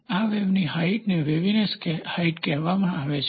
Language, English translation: Gujarati, The height of this wave is called as waviness height